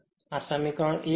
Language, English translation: Gujarati, Now, equation 4